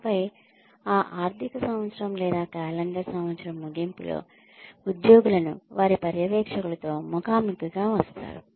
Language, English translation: Telugu, And then, at the end of that, either financial year or calendar year, employees are brought, face to face with their supervisors